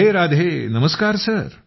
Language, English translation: Marathi, Radhe Radhe, Namaste